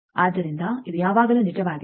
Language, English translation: Kannada, So, this is always true